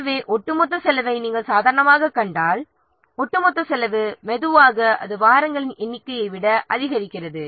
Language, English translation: Tamil, So, if you will see the cumulative cost normally the cumulative cost slowly what it increases or the number of weeks increases